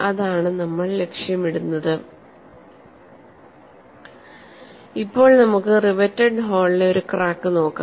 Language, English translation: Malayalam, Now let us take up a problem of a crack from riveted hole